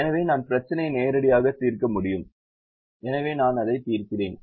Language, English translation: Tamil, so i can solve the problem directly